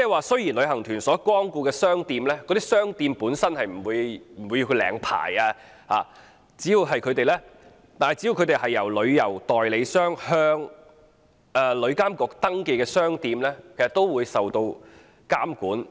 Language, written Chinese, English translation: Cantonese, 雖然旅行團光顧的商店本身不用領牌，但商店只要是旅行代理商向旅監局登記的商店，都會受到監管。, Shops that tour groups patronize need not be licensed but they will be put under regulation as long as they are registered shops with TIA by travel agents